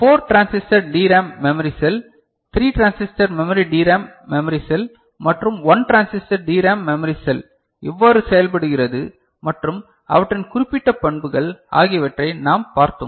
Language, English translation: Tamil, And we had seen how 4 transistor DRAM memory cell, 3 transistor memory DRAM memory cell and 1 transistor DRAM memory cell works and their specific characteristics